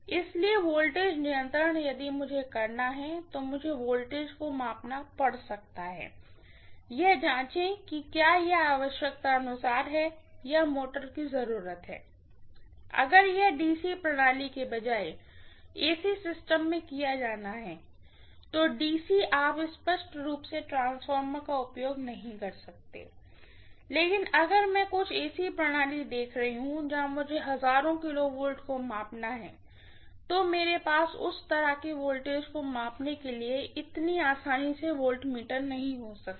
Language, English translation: Hindi, So voltage control if I have to do, I might have to measure the voltage, check it out whether it is as per what it need or what might motor needs, this if it has to be done in AC system, rather than in DC system, DC, you cannot use transformer obviously, but if I am looking at some AC system, where I have to measure thousands of kilovolts, I may not have a voltmeter to measure that kind of voltage so easily